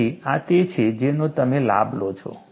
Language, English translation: Gujarati, So, this is what you take advantage